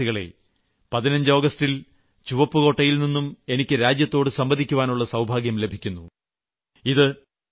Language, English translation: Malayalam, Dear countrymen, I have the good fortune to talk to the nation from ramparts of Red Fort on 15thAugust, it is a tradition